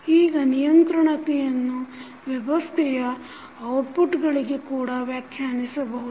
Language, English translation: Kannada, Now, controllability can also be defined for the outputs of the system